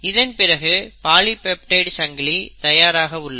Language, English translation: Tamil, So once the translation has happened, polypeptide chain is ready